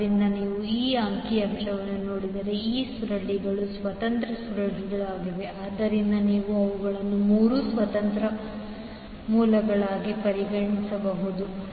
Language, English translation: Kannada, So, if you see this particular figure, so, these 3 coils are independent coils, so, you can consider them as 3 independent sources